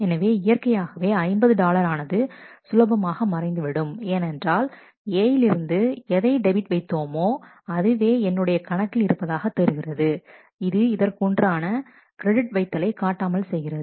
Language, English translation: Tamil, So, naturally 50 dollars will simply disappear because what has been debited from A and will be available to be seen in account A will the corresponding credit will not be visible